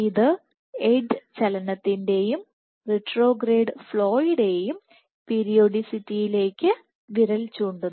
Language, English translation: Malayalam, So, this points out to a periodicity of edge movement and retrograde flow